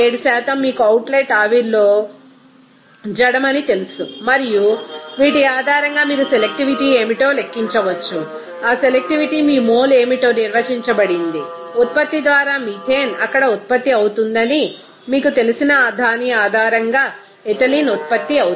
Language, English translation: Telugu, 7% for you know inert in the outlet steam and based on these you can calculate what will be selectivity, that selectivity is defined as what to be the mole of you know ethylene produced based on what will be the amount of you know that methane by product is produced there